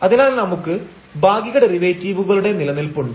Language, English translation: Malayalam, So, the existence of partial derivatives again it is easier